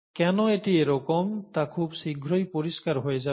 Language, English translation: Bengali, Why this is so will become clear very soon